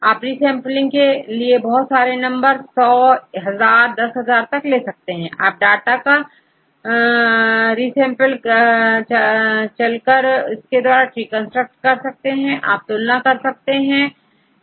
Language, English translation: Hindi, You construct large number of resampling for example, 100 times, 1,000 times, 10,000 times you can resample the data, and from this sample you construct the trees and compare